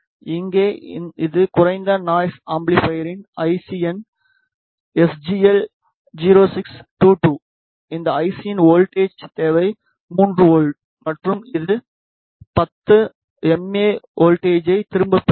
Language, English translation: Tamil, Here this is the IC of low noise amplifier the IC number is SGL 0622 the voltage requirement for this IC is 3 volt and it withdraws 10 milliampere current